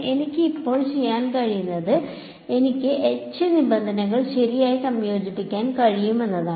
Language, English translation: Malayalam, And what I can do now is I can combine the H terms right